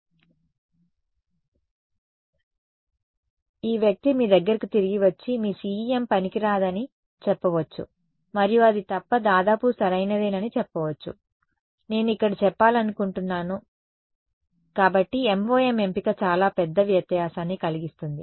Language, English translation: Telugu, So, this person may come back at you and say your CEM is useless right and will almost be correct except that, as I am the point I am trying to make here is that the choice of MoM makes a huge difference right